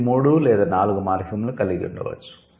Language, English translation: Telugu, It could have three or four morphemps together